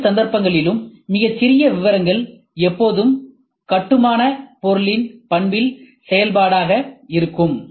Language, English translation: Tamil, In both cases very fine details will always be a function of the property of the building material